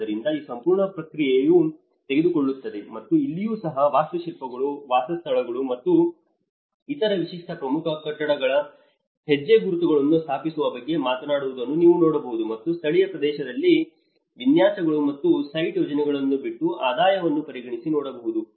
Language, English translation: Kannada, So, this whole process will take, and even here you can see architects talk about establish the footprints of the dwellings and other typical key buildings and drop local area layouts and site planning and consider income